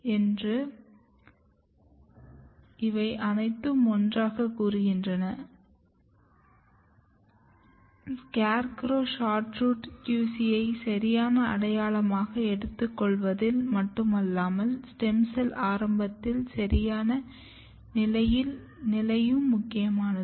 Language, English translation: Tamil, This all together suggest that SCARECROW is important in not only taking QC as a proper identity, but also positioning stem cell initial at the right position